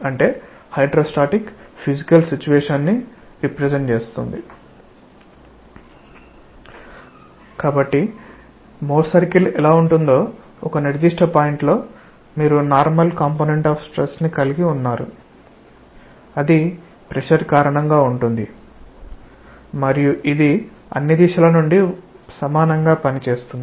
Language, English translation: Telugu, So, how will the Mohr circle look like, see at a particular point you have the normal component of stress that is because of pressure and it acts equally from all directions